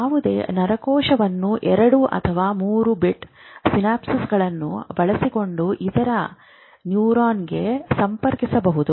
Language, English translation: Kannada, Any neuron can be connected to the other neuron between two or three synapses